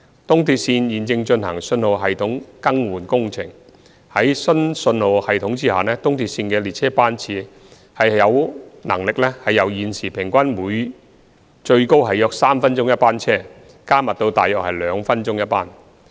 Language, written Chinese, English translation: Cantonese, 東鐵線現正進行信號系統更換工程，在新信號系統下，東鐵線的列車班次有能力由現時平均最高約3分鐘一班車，加密至大約2分鐘一班。, ERL is now replacing the signalling system which will enable it to increase the frequency of its service from a maximum average of one train every three minutes at present to every two minutes